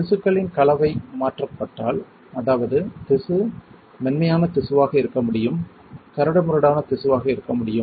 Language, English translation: Tamil, If the composition of the tissue is changed; that means, the tissue can be smooth tissue can be coarse right